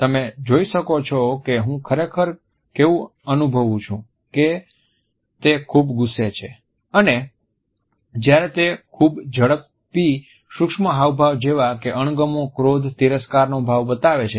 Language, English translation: Gujarati, You can see how I was really feeling which was he is very angry and when he shows is a very fast micro expression of disgust, anger, scorn